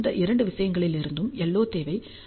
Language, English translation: Tamil, And the LO requirement from these two things will be 3